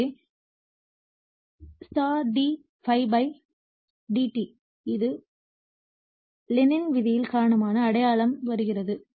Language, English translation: Tamil, So, * d ∅ /dt right, this minus sign comes because of the Lenz’s law right